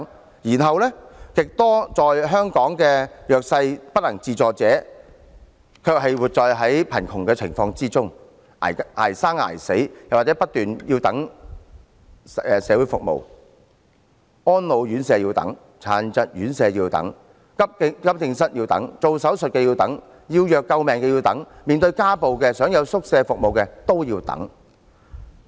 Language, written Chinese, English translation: Cantonese, 另一方面，極多香港的弱勢人士、不能自助者，卻要活在貧窮中，捱生捱死，又或是不斷等候各種社會服務，安老院舍要等、殘疾院舍要等、急症室要等、做手術要等、要藥救命要等、面對家暴想要住宿服務都要等。, On the other hand large numbers of underprivileged people and those who cannot stand on their own feet must languish in poverty and live a life of extreme hardship . They wait endlessly for various kinds of social services for places in residential care homes for the elderly and for people with disabilities for accident and emergency department services for surgical operations for life - saving drugs and for residential arrangements for victims of domestic violence